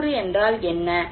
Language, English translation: Tamil, What is the internal component